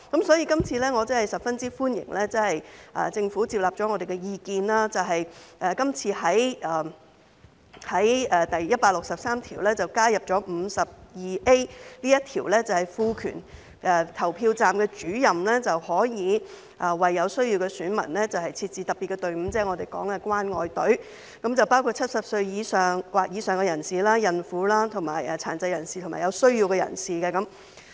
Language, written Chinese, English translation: Cantonese, 所以，我十分歡迎政府接納了我們的意見，在第163條加入第 52A 條，賦權投票站主任可以為有需要的選民設置特別隊伍，即我們說的"關愛隊"，對象包括70歲或以上的人士、孕婦、殘疾人士及有需要的人士。, Hence I greatly welcome that the Government has accepted our view and added section 52A in clause 163 to empower the Presiding Officer to set up a special queue for electors in need the caring queue as we call it . The targets include people aged 70 or above pregnant women persons with disabilities and people in need